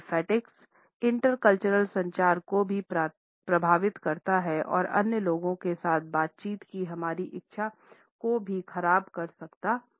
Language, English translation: Hindi, Olfactics can also impact intercultural communication as well as can impair our willingness to be engaged in a dialogue with other people